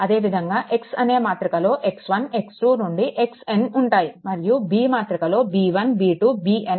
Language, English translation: Telugu, Similarly, X is equal to your x 1 x 2 up to x n, and B is equal to b 1 b 2 b n